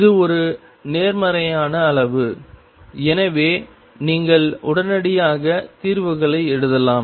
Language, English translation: Tamil, This is a positive quantity and therefore, you can immediately write the solutions